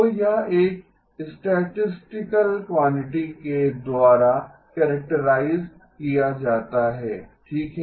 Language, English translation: Hindi, So it has to be characterized by a statistical quantity okay